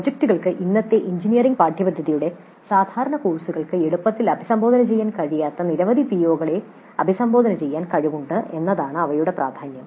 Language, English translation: Malayalam, The importance of projects is that they have the potential to address many POs which cannot be addressed all that easily by typical courses of present day engineering curricula